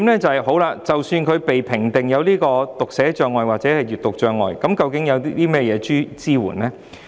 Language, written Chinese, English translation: Cantonese, 第二，即使學童被評定有讀寫障礙或閱讀障礙，究竟可得到甚麼支援？, Secondly even if a student is assessed to have dyslexia or print disabilities what kind of support will he receive?